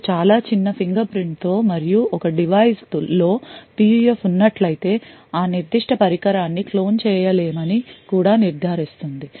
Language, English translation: Telugu, And with a very small fingerprint and also it is ensured that if a PUF is present in a device then that particular device cannot be cloned